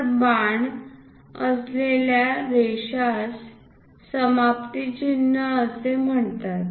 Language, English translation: Marathi, So, a line with an arrow is called termination symbol